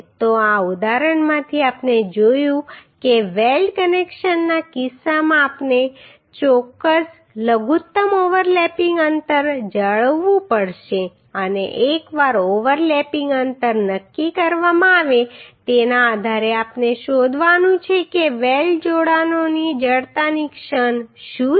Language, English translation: Gujarati, So from this example what we have seen that in case of weld connections we have to maintain certain minimum overlapping distance and once overlapping distance is decided based on that we have to find out what is the moment of inertia of the weld connections